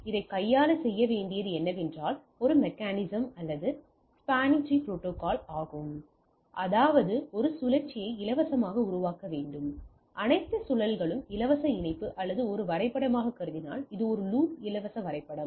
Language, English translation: Tamil, In order to handle this what we need to do is to look have a mechanism, or spanning tree protocol, that means I need to generate a cycle free all loops free connectivity, or if you consider as a graph this one a loop free graph into the thing